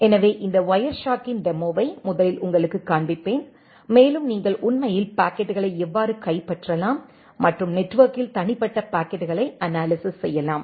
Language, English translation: Tamil, So, let me first show you a demo of this Wireshark and see how you can actually capture the packets and analyze individual packets in the network